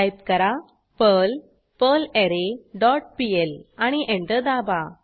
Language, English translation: Marathi, Type perl perlArray dot pl and press Enter